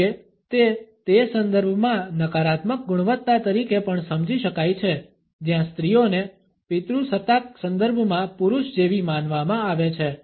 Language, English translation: Gujarati, However, it can also be understood as a negative quality in those context where women are being judged as mannish in patriarchal context